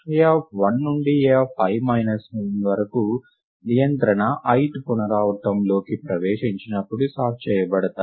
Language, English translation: Telugu, Given that a of 1 to a of i minus 1 is as is sorted when the control enters the ith iteration right